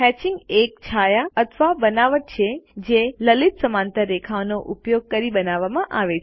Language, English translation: Gujarati, Hatching is a shading or texture in drawing that is created using fine parallel lines